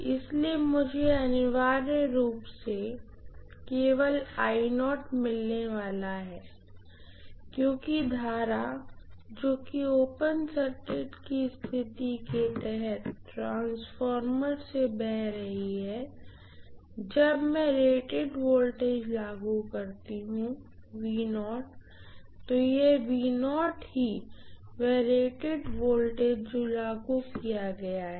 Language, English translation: Hindi, So I am going to have essentially only I naught, as the current that is flowing through the transformer under open circuit condition, when I apply rated voltage V naught, so V naught is rated voltage what I am applying